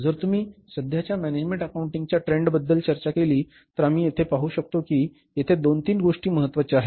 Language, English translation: Marathi, Then is the if you talk about the current management accounting trends then we can see here that some two three things are important here